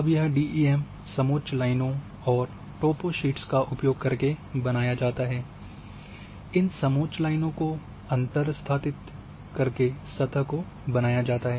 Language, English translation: Hindi, Now this DEM was created using toposlipes, contour lines, those contour lines were interpolated and surface were created